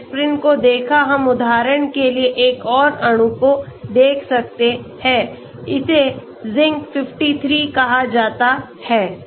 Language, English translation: Hindi, Now I want to upload another file, say okay we looked at aspirin, we can look at another molecule for example, it is called Zinc53